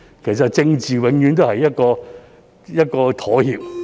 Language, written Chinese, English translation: Cantonese, 其實政治不外乎是一種妥協。, In fact politics is about compromise after all